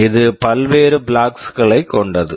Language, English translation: Tamil, It contains various flags